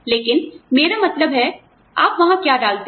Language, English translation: Hindi, But, what I mean, what do you put there